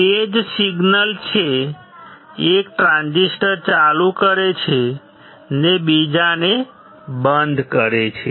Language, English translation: Gujarati, The same signal which turns on 1 transistor will turn off the another one